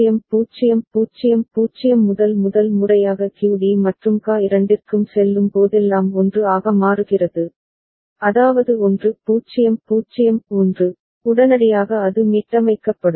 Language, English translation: Tamil, So, it will go from 0 0 0 0 to first time whenever it goes to both of them QD and QA become 1 that is 1 0 0 1, immediately it gets reset